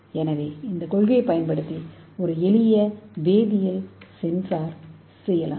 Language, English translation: Tamil, So based on that we can make a chemical sensor simple chemical sensor